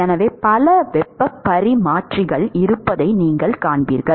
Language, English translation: Tamil, So, you will see that there are several heat exchangers